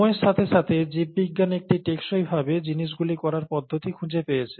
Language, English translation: Bengali, And, over time, biology has found methods to do things in a sustainable fashion